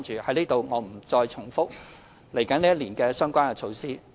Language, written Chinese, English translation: Cantonese, 我在此不重複來年的相關措施。, I will not repeat the relevant measures in store for the next year